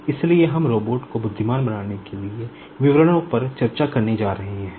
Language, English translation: Hindi, So, we are going to discuss, in details, how to make the robot intelligent